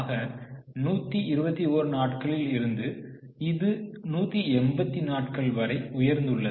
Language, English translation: Tamil, So, from 128, it has gone up to 187